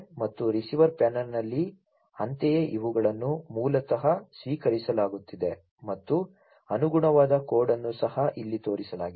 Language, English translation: Kannada, And at the receiver panel likewise, you know, these are basically what is being received and the corresponding code is also shown over here, right